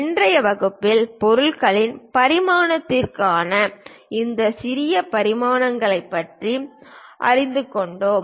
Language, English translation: Tamil, In today's class we have learnt about these special dimensions for dimensioning of objects